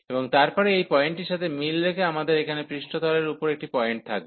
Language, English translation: Bengali, And then corresponding to this point, we will have a point there in the on the surface here